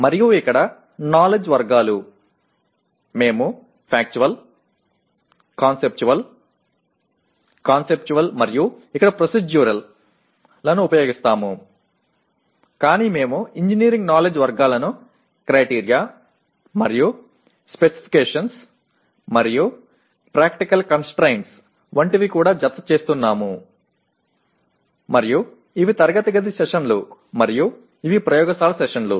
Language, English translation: Telugu, And knowledge categories here we are using Factual, Conceptual, Conceptual and here Procedural but we are also adding the engineering knowledge categories like Criteria and Specifications and Practical Constraints and these are the classroom sessions and these are the laboratory sessions